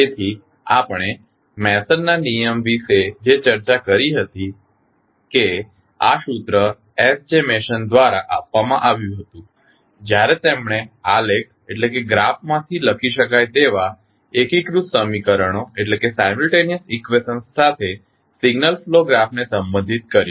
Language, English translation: Gujarati, So, what we discussed about the Mason’s rule that this particular formula was derived by S J Mason when he related the signal flow graph to the simultaneous equations that can be written from the graph